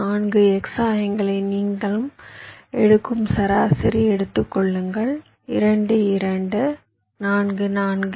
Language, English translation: Tamil, take the average, you take the four x coordinates: two, two, four, four